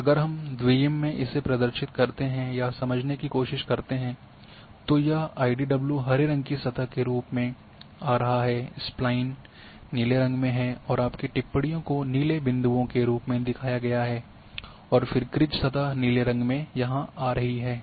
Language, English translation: Hindi, And same if we go for a 2D representation or trying to understand then this IDW is coming as a green surface your Spline is coming as a blue your observations are shown as blue dots and then krige surface is that a blue one it is coming here